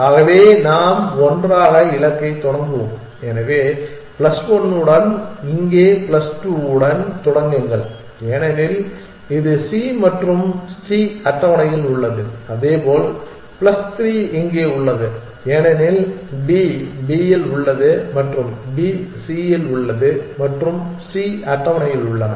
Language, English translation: Tamil, So let us together start with the goal, so will start with plus 1 here plus 2 here because it is on c and c is on the table likewise plus 3 here because d is on b and b is